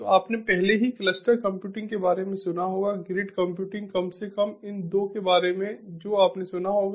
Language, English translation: Hindi, so you must have already heard about cluster computing, grid computing at least these two you must have heard about